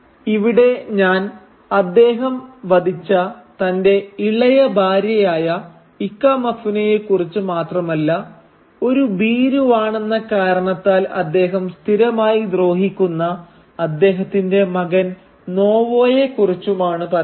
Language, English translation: Malayalam, And here I am not only talking about his youngest wife or Ikemefuna who he kills, but also his son Nwoye whom he constantly ill treats because he is effeminate